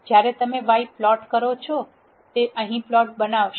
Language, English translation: Gujarati, When you plot y it will generate this plot here